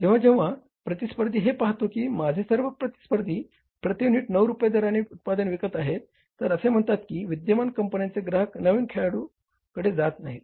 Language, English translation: Marathi, When your competitor would see that all competitors are selling the product at 9 rupees per unit and the say the customers of the existing companies, they are not shifting towards new player